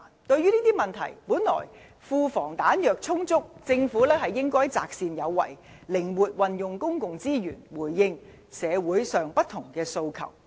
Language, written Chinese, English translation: Cantonese, 對於這些問題，本來庫房"彈藥"充足，政府應該擇善有為，靈活運用公共資源，回應社會上不同的訴求。, With respect to these problems the Government should have utilized its rich reserves to spend where necessary and flexibly deploy public resources to address various aspirations in society